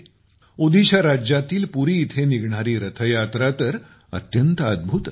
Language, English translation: Marathi, The Rath Yatra in Puri, Odisha is a wonder in itself